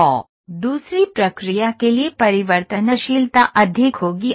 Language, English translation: Hindi, So, variability would be high for the second process